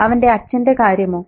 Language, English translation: Malayalam, And what about the father